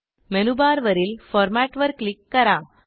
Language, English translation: Marathi, Click on Format button on the menu bar